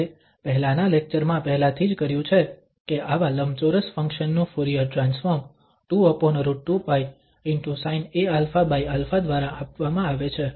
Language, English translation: Gujarati, We have already done in the previous lecture that the Fourier transform of such rectangular function is given by 2 over square root 2 pi and sin a alpha over this alpha